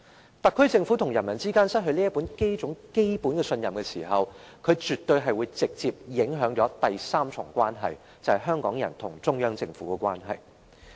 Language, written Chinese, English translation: Cantonese, 若特區政府與人民之間失去基本信任，絕對會直接影響第三重關係，就是香港人與中央政府之間的關係。, The loss of the fundamental trust between the SAR Government and the people will absolutely have a direct impact on the third part of the relationship which is the relationship between the people of Hong Kong and the Central Government